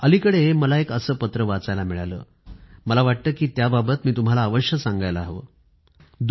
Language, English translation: Marathi, Recently, I had the opportunity to read a letter, which I feel, I should share with you